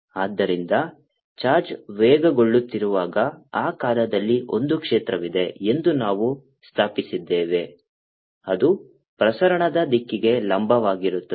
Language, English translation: Kannada, so we have established that there exists a field, in those times when the charge is accelerating, which is perpendicular to the direction of propagation